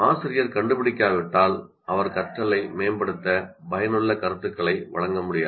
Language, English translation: Tamil, Unless the teacher is able to find out, he will not be able to give effective feedback to improve their thing